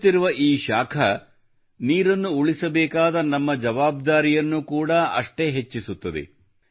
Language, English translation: Kannada, This rising heat equally increases our responsibility to save water